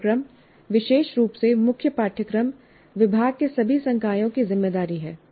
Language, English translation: Hindi, And the program, especially the core courses, is the responsibility for all faculty in the department